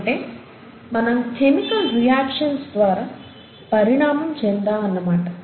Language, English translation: Telugu, In other words, we have essentially evolved from chemical reactions